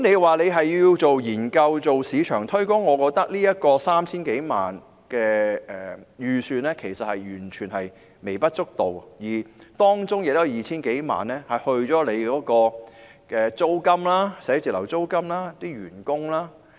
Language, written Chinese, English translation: Cantonese, 若是要進行研究或市場推廣，我認為 3,000 多萬元的預算其實是完全微不足道的，而且當中的 2,000 多萬元是用於辦公室租金和員工薪酬。, I think a budget of some 30 million is virtually a drop in the bucket when we talk about research or market promotion not to mention that more than 20 million therein will be used to pay office rent and employees remuneration